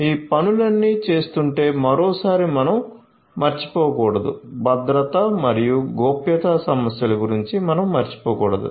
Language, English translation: Telugu, So, once again we should not forget that if you are doing all of these things we should not forget about the security and the privacy issues